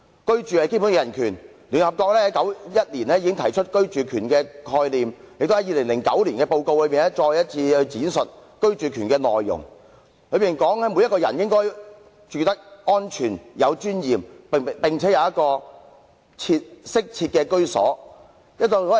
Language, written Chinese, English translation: Cantonese, 居住是基本人權，聯合國在1991年已經提出居住權的概念，並在2009年的報告中再次闡述居住權的內容，提出每個人也應該住得安全及有尊嚴，並有一個適切的居所。, Housing is a fundamental human right . The United Nations introduced the conception of the right to housing in 1991 and defined the right to housing again in a report in 2009 indicating that everyone should live somewhere in security and dignity and have the right to adequate housing